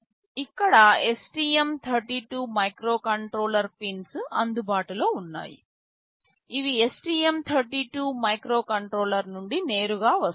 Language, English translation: Telugu, Over here, STM32 microcontroller pins are available that come in directly from the STM32 microcontroller